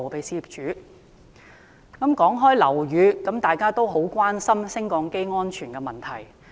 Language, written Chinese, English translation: Cantonese, 提及樓宇，大家都很關注升降機安全的問題。, Regarding buildings we are all concerned about lifts safety